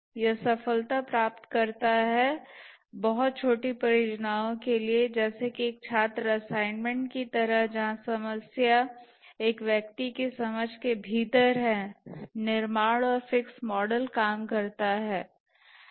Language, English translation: Hindi, This yields success for very small projects like a student assignment where the problem is within the grasp of an individual, the build and fixed model works